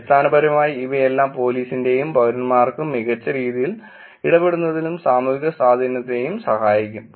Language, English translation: Malayalam, Essentially all of this can help both societal impact in terms of police and citizens interacting better